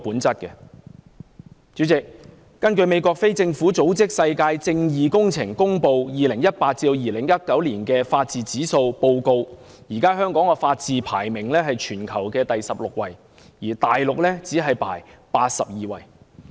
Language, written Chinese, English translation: Cantonese, 主席，根據美國非政府組織"世界正義工程"公布的 2018-2019 年度法治指數報告，現時香港的法治排名為全球第十六位，而大陸只是第八十二位。, President in the 2018 - 2019 Rule of Law Index released by World Justice Project a US non - government organization Hong Kong is ranked 16 in terms of rule of law whereas China is ranked at 82 a very low position